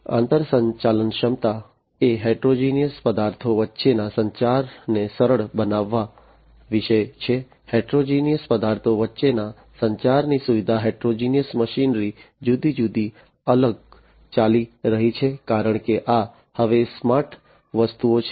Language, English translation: Gujarati, Interoperability is about facilitating communication between heterogeneous objects facilitating communication between heterogeneous objects, heterogeneous machinery running different, different, because these are now smart objects right